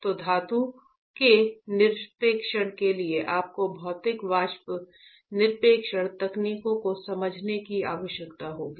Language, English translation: Hindi, So, deposition of a metal will require you to understand physical vapor deposition, physical vapor deposition techniques